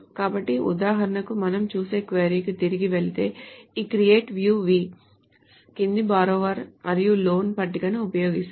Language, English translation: Telugu, So for example, if we go back to the query that we see, this create view v uses the following tables, borrower and loan